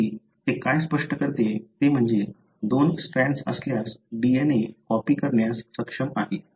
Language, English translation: Marathi, What it explains however is that, by having the two strands, the DNA is able to copy